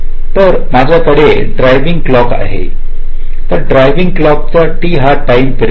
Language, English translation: Marathi, take this example: so i have this driving clock, driving clock it comes, t is the time period